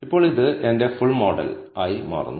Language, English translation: Malayalam, Now, this becomes my full model